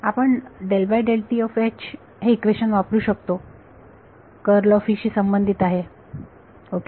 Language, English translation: Marathi, What equation do we want to use